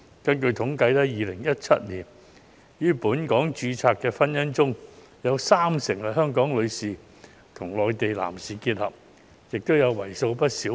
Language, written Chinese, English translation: Cantonese, 根據統計 ，2017 年於本港註冊的婚姻中，香港女士與內地男士的結合佔了三成。, According to statistics marriages between Hong Kong females and Mainland males accounted for 30 % of marriages registered in Hong Kong in 2017